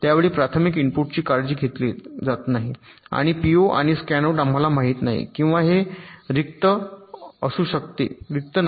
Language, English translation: Marathi, during this time primary inputs are dont care, and p, o and scanout we dont know, or this can be empty